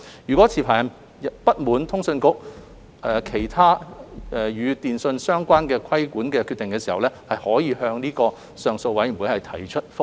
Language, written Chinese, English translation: Cantonese, 若持牌人不滿意通訊局其他與電訊相關的規管決定，可以向上訴委員會提出覆核。, Licensees can appeal to the Appeal Board if they are aggrieved by other telecommunications - related regulatory decisions of CA